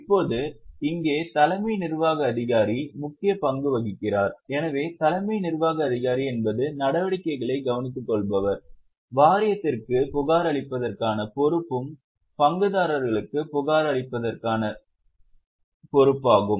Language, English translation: Tamil, So, Chief Executive Officer is one who is looking after the operations is also responsible for reporting to the board is also responsible for reporting to the shareholders